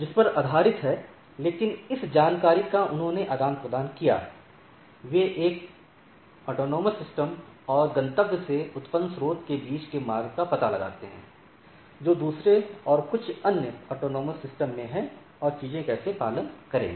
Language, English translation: Hindi, So, based on this, but this information they exchanged they find out the path between the source which is generated from one autonomous system and destination, which is at the other and some other autonomous systems and how the things will follow